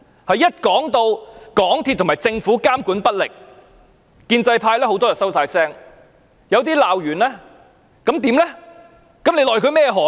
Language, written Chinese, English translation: Cantonese, 當提到港鐵公司和政府監管不力，建制派很多議員會"收聲"，有些會作出指責，但罵完又如何呢？, When it comes to ineffective monitoring by MTRCL and the Government many pro - establishment Members would shut up; some would make criticisms but after making them what then?